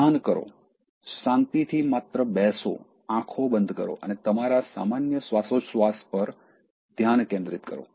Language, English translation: Gujarati, Meditate: so calmly just sit, close your eyes and focus on your just breathing, so that will also reduce your anger